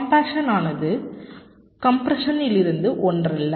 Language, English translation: Tamil, compaction and compression are not the same thing